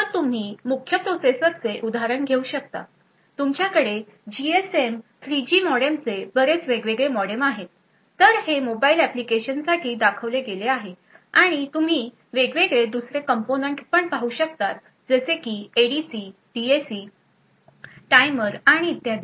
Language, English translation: Marathi, So you would have example the main processor you have a lot of different modems GSM 3G modem so this is shown for a typical say a mobile application and you would also see various other components such as ADC, DAC, timers and so on, so all of these things would be present in a single chip